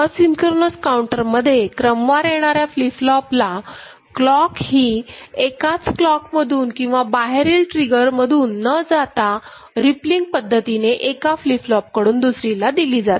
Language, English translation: Marathi, Asynchronous counter, the clocking of consecutive flip flops are not by not from the same clock or the external trigger, it is done through a rippling effect from one flip flop to another